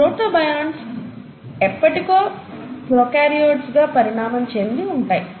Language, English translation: Telugu, And somewhere down the line, the protobionts would have then evolved into prokaryotes